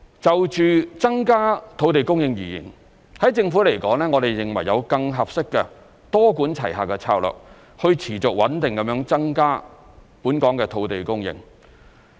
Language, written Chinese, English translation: Cantonese, 就增加土地供應而言，在政府來說，我們認為有更合適的多管齊下策略去持續穩定地增加本港的土地供應。, In respect of increasing land supply the Government considers that there is a more appropriate multi - pronged strategy to increase land supply in Hong Kong in a sustainable and steady manner